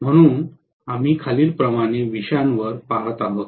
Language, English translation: Marathi, So we are going to look at the topics as follows